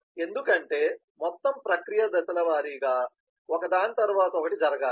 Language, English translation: Telugu, because the whole process has to go in step by step, one step after the other